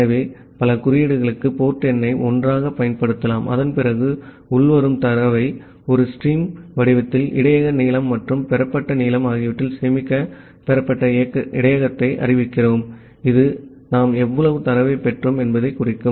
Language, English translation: Tamil, So, that we can use the port number for multiple codes together and after that, we are declaring a received buffer to store the incoming data in a stream format the buffer length and received length that would indicate how much data we have received